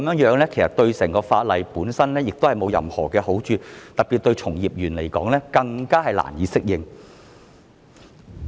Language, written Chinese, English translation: Cantonese, 現在這樣對整套法例沒有任何好處，特別令從業人員更難以適應。, While the present approach is not conducive to the entire law at all practitioners in particular find it even more difficult to adapt